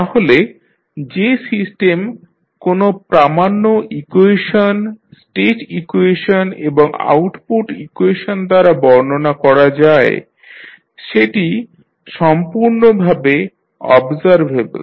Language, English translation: Bengali, So, for the system described by the standard equation, state equation and the output equation can be completely observable